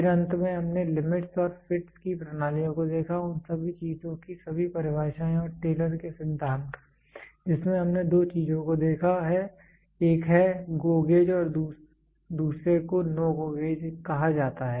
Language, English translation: Hindi, Then finally, we saw the systems of limits and fits, all the definitions of all those things and Taylors principle wherein which we saw two things one is GO gauge and another one is called as NO GO gauge